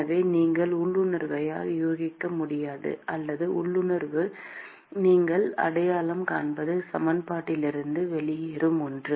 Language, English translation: Tamil, So, whatever you would intuitively guess or whatever you would intuitively identify is something that will fall out from the equation